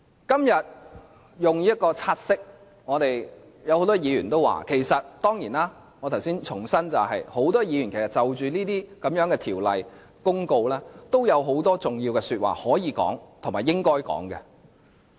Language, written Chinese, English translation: Cantonese, 今天就這項"察悉議案"，很多議員都有話要說......當然，我重申，很多議員就着這些條例、公告，都有很多重要的話要說和應該說。, A lot of Members have to comment on this take - note motion today Of course I reiterate that many Members do have important comments to make regarding these ordinances or notices and they should certainly go ahead doing so